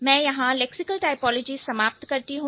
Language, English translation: Hindi, I end lexical typology here